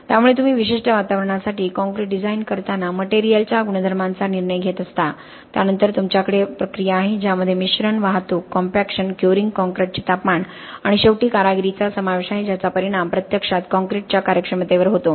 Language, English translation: Marathi, So you are deciding up on the material characteristics that go into designing concrete for a particular environment, then you have the process which includes mixing, transportation, compaction, curing, temperature of the concrete and ultimately the workmanship which actually is resulting in the performance of the concrete in the long term